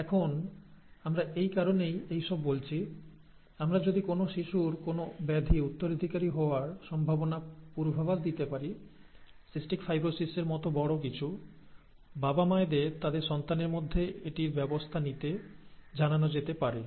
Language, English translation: Bengali, Now, we said all this for this reason: if we can predict a child's chances to inherit a disorder, okay, something as major as cystic fibrosis, the parents can be informed to handle it in their child, okay